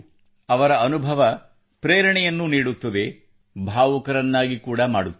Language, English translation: Kannada, Her experiences inspire us, make us emotional too